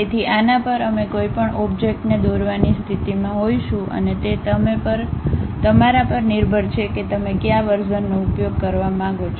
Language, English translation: Gujarati, So, on this we will be in a position to draw any object and it is up to you which version you would like to use